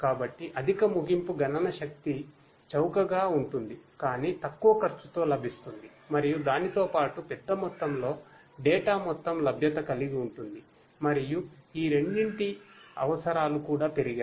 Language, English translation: Telugu, So, high end computational power cheaper, but available at low cost and coupled with that the amount of large amounts of data have the availability of that data has also increased and the requirements for both of these has also increased